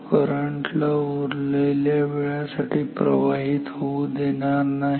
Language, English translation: Marathi, It is not allowing the current to flow for the other remaining time